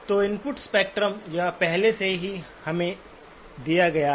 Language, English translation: Hindi, So the input spectrum, this is already given to us